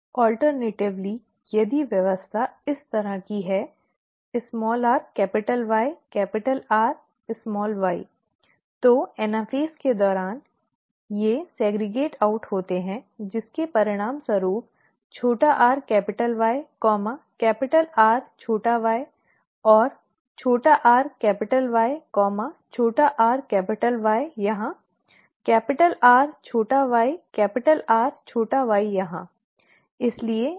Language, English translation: Hindi, Alternatively, if the arrangement is like this, small r capital Y capital R small y, then during anaphase, they segregate out resulting in small r capital Y, capital R small y and small r capital Y, small r capital Y here, capital R small y capital R small y here